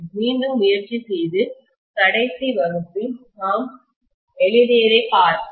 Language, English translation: Tamil, Let us try to again take a look at what we wrote in the last class